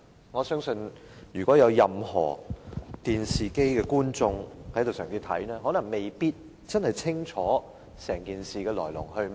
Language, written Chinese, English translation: Cantonese, 我相信正在收看電視的市民，可能未必真正清楚整件事的來龍去脈。, I believe many members of the public who are now watching the television broadcast may not really understand what the matter is all about